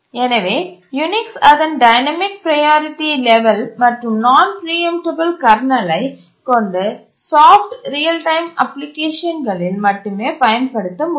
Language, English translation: Tamil, So the Unix with its dynamic priority level and its non preemptible kernel can only be used in soft real time applications